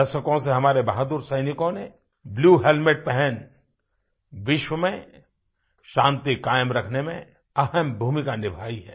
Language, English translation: Hindi, For decades, our brave soldiers wearing blue helmets have played a stellar role in ensuring maintenance of World Peace